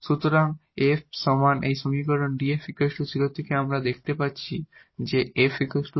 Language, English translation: Bengali, So, f is equal to see from this equation df is equal to 0 we are getting that f is equal to c